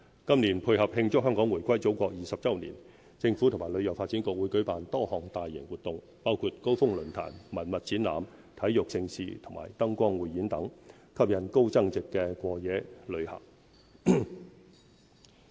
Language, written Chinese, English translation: Cantonese, 今年，配合慶祝香港回歸祖國20周年，政府和旅遊發展局會舉辦多項大型活動，包括高峰論壇、文物展覽、體育盛事和燈光匯演等，吸引高增值過夜旅客。, To celebrate the 20 anniversary of Hong Kongs return to the Motherland the Government and the Hong Kong Tourism Board will hold a number of mega events including summits heritage exhibitions large - scale sports events and light shows to attract more high - yield overnight visitors